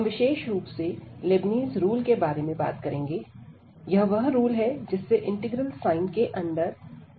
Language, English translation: Hindi, So, in particular we will be talking about Leibnitz rule, so that is rule where we apply for differentiation under integral sign